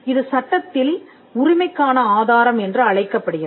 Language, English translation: Tamil, So, this in law be referred to as the proof of right